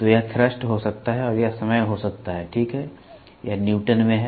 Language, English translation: Hindi, So, this may be thrust and this may be time, ok, this is Newton